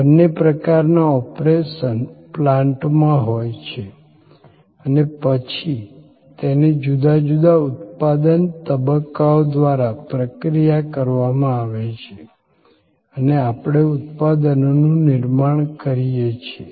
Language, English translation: Gujarati, Both types flow to the operation plant and then, they are processed through different manufacturing stages and we create products